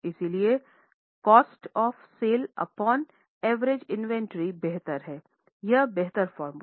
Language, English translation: Hindi, So, cost of sales upon average inventory is the better or improved formula